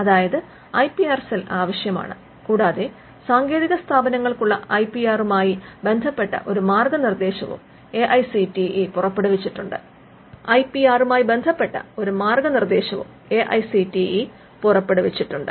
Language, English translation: Malayalam, So, the IPR cell is required and AICTE has also come up with a guidelines for IPR for technical institutes